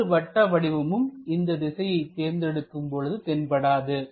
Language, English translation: Tamil, This circle is also not visible if we are picking this view